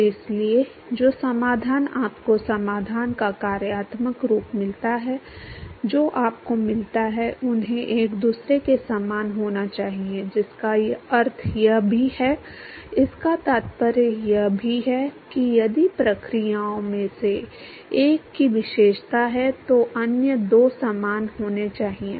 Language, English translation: Hindi, So, therefore, the solution that you get the functional form of the solution that you get they have to be similar to each other, which also means that; this also implies that if one of the processes is characterized, then other two must be similar